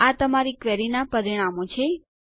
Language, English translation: Gujarati, These are the results of your query